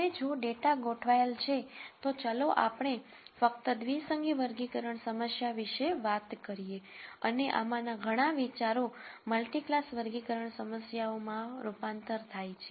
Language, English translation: Gujarati, Now, if the data is organized, let us talk about just binary classification problem and many of these ideas translate to multi class classification problems